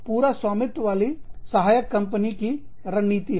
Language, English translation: Hindi, So, this is the, wholly owned subsidiary strategy